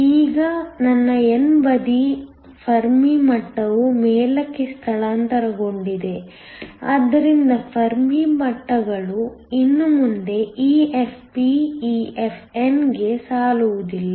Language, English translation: Kannada, Now, my n side, the Fermi level has shifted up, so that the Fermi levels no longer line up EFp EFn